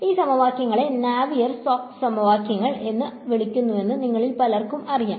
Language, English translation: Malayalam, And many of you will know that these equations are called the Navier Stokes equations